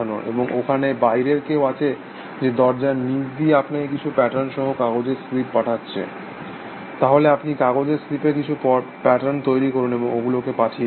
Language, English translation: Bengali, And you are there somebody; from outside below the door slipping, sending you slip of paper, with some patterns, then you make some other patterns on slips of paper, and send them back essentially